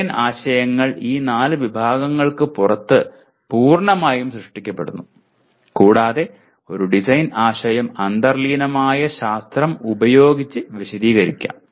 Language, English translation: Malayalam, Design concepts are generated completely outside these four categories and a design concept can be explained within/ with the underlying science